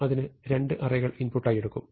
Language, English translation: Malayalam, So, it takes two arrays as input